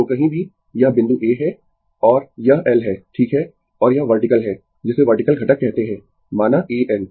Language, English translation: Hindi, So, anywhere this point is A and this is L right and this is the vertical, your what you call vertical component say A N